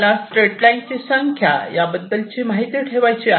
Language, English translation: Marathi, you have to maintain ah number of straight lines